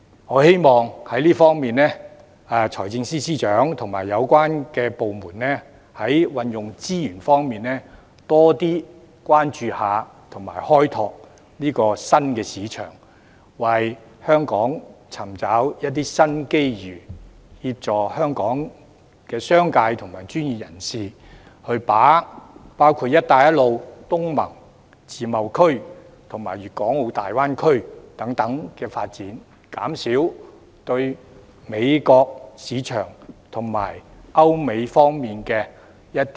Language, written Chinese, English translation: Cantonese, 我希望財政司司長及有關部門在運用資源方面，多點關注及開拓新市場，為香港尋找新機遇，協助香港的商界及專業人士把握"一帶一路"、東盟、自貿區及粵港澳大灣區等發展，減少對歐美市場的倚賴。, I hope that Financial Secretary and the relevant departments channel more attention and resources to the exploration of new markets and opportunities for Hong Kong and assist our business and professional communities to capitalize on the Belt and Road Initiative ASEAN free trade zones and the Guangdong - Hong Kong - Macao Greater Bay Area as well as other developments thus reducing their reliance on the European and American markets